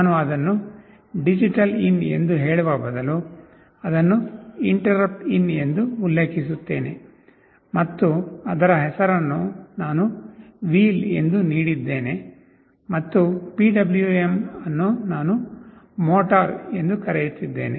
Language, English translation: Kannada, I declare it as instead of telling it as DigitalIn, I mention it as InterruptIn, and the name of this object I have given as “wheel”, and for PWM out I am calling it “motor”